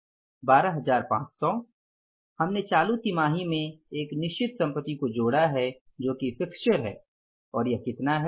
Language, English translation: Hindi, 12,500 plus we added one fixed asset in the current quarter that is the fixture and how much is the fixture